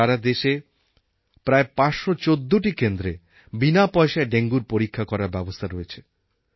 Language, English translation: Bengali, In the entire country about 514 centers have facilities for testing dengue cases absolutely free of cost